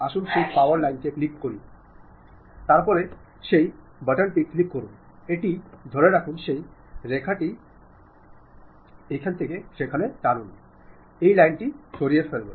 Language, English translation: Bengali, Let us click that power line, then click that button hold it, drag along that line, it removes that line